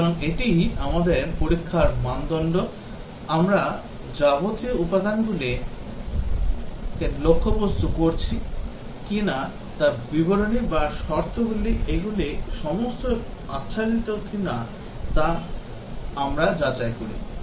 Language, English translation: Bengali, So that is our testing criterion, we check whether the elements that we are targeting whether it is statements or conditions these are all covered